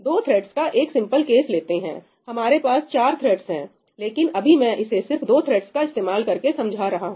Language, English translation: Hindi, Letís just take the simple case of two threads we have four threads, but let me just explain this using two threads